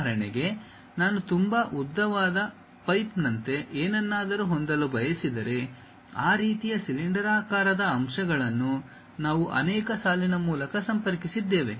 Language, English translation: Kannada, For example, if I would like to have something like a very long pipe, then we will have that kind of cylindrical elements many connected line by line